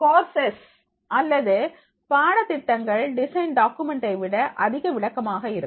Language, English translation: Tamil, Courses or lesson plans are typically more detailed than the design document